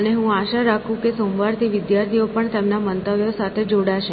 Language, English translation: Gujarati, And, I hope students from Monday will also join in, with their opinions